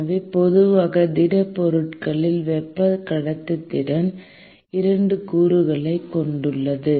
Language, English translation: Tamil, So, typically the thermal conductivity in solids has 2 components